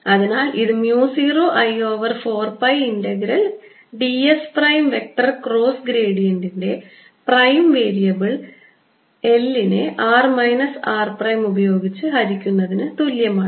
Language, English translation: Malayalam, but let me write it again: a r is equal to mu zero i over four pi integral d s prime cross gradient with respect to primed variable over r minus r prime, which is nothing but mu zero